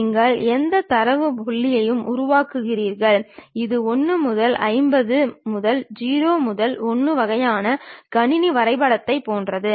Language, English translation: Tamil, You construct any data point it is more like a mapping from 1 to 500 to 0 to 1 kind of system